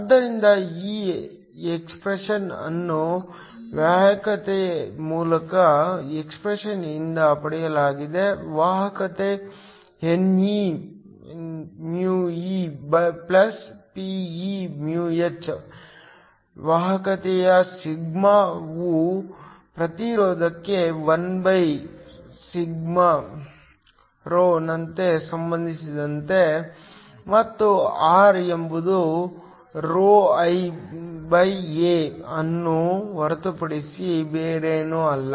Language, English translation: Kannada, So, this expression is got from the original expression for conductivity; conductivity is ne μe + p e μh; conductivity sigma is related to the resistivity as 1/ρ, and r is nothing but ρl/A